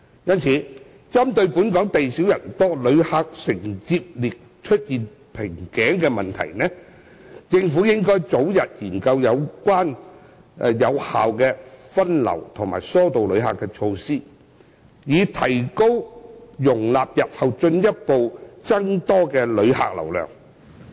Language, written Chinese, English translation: Cantonese, 因此，針對本港地少人多，旅客承接力出現瓶頸的問題，政府應早日研究有效的分流和疏導旅客措施，以提高容納日後進一步增多的旅客流量的能力。, In view of the fact that Hong Kong is small but densely populated with a bottleneck in visitor receiving capability the Government should study early effective measures to divert and channel visitors so as to enhance the capability of receiving an increasing number of visitors in future